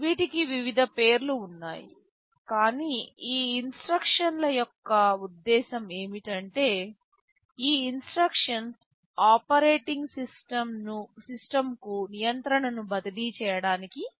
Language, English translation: Telugu, There are various names, but the purpose of this instructions is that, these instructions allow to transfer control to the operating system